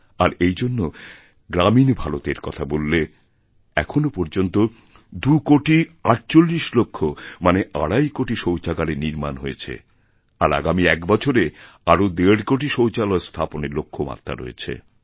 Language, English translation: Bengali, If we talk of rural India, so far 2 crore 48 lakh or say about two and a half crore toilets have been constructed and we intend to build another one and a half crore toilets in the coming one year